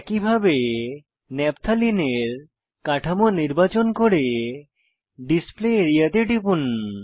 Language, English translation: Bengali, Likewise lets select Naphtalene structure and click on the Display area